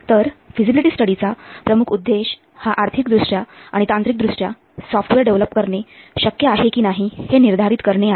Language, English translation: Marathi, So the main focus of feasible study is to determine whether it would be financially and technically feasible to develop a software